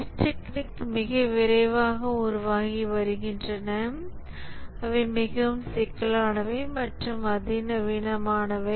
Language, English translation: Tamil, The testing techniques are evolving very rapidly, that becoming more complex and sophisticated